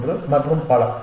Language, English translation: Tamil, 23 and so on